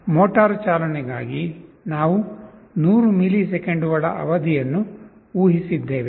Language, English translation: Kannada, For the motor driving, we have assumed a period of 100 milliseconds